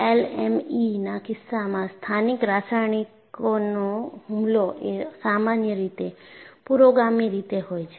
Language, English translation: Gujarati, In the case of LME, local chemical attack is usually a precursor